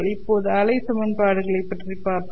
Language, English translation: Tamil, Now we will look at the wave equation